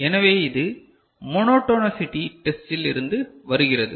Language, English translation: Tamil, So, this is coming from monotonicity test ok